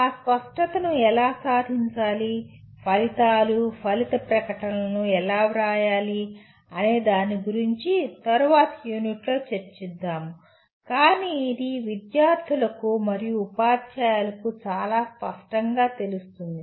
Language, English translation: Telugu, How to achieve that clarity we will talk about in a later unit how to write the outcomes, outcome statements but it is very clear to the students and teachers